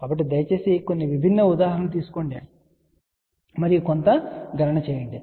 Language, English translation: Telugu, So, please take some different examples and do some own calculation